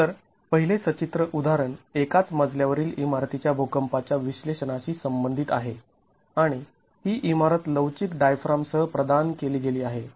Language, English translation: Marathi, So, the first illustrative example deals with the seismic analysis of a single story building and this building is provided with a flexible diaphragm